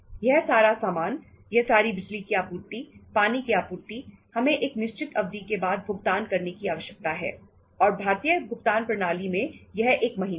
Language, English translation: Hindi, All these materials, all this power supplies, water supplies, we need to pay after certain period of time and the Indian say payment system is for 1 month